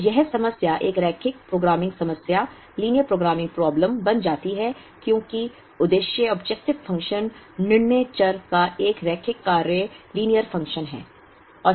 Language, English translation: Hindi, So, this problem becomes a linear programming problem, because the objective function is a linear function of the decision variable